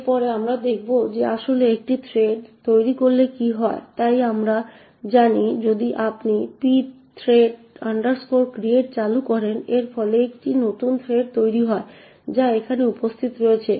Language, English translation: Bengali, Next, we will see what happens when you actually create a thread, so as we know and you invoke the pthread create it results in a new thread getting created which is present here